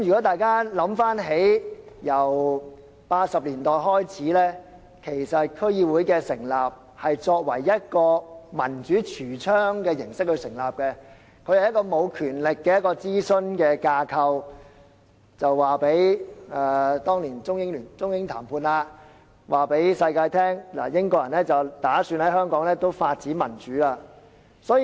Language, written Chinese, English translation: Cantonese, 大家一同回想，自1980年代開始，區議會是以一個民主櫥窗的形式成立，是一個沒有權力的諮詢架構，是當年中英談判期間，英國人要告訴全球他們打算在香港發展民主。, Let us do a recap of history . District Boards were set up in the 1980s as a showcase of democracy being an advisory framework without power . Back then during the Sino - British negotiations the British wanted to tell the world that they would develop democracy in Hong Kong